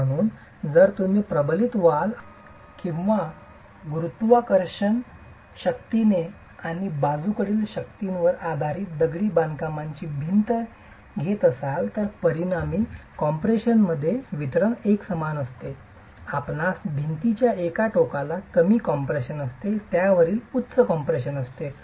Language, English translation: Marathi, So, if you take a reinforced, if you take a masonry wall that is subjected to both gravity forces and lateral forces, the distribution of resultant compression is non uniform, you would have lesser compression on one end of the wall, higher compression on the other under the action of lateral forces which actually will be cyclic